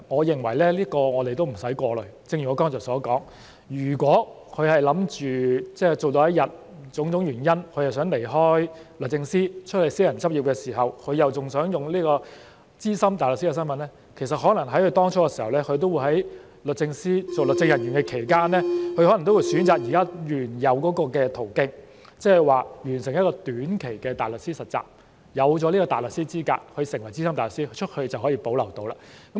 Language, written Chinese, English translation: Cantonese, 正如我剛才所說，如果他們是想工作到某天，因種種原因而想離開律政司到外私人執業，並同時想保留資深大律師的身份，其實他們當初在律政司擔任律政人員的期間，可能選擇現時原有的途徑，即是說完成短期的大律師實習，獲得大律師資格，成為資深大律師，這樣在外面便仍能保留身份。, As I have just said if they want to work until a certain date and then leave DoJ for various reasons to go into private practice and at the same time also wish to retain their SC status in fact they may pursue the existing avenue when they first work as legal officers in DoJ ie . completing the short - term pupillage being called to the Bar and then becoming SC . In this way they can still retain their status outside DoJ